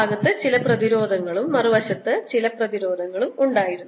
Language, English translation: Malayalam, there was some resistance on this side and some other resistance on the other side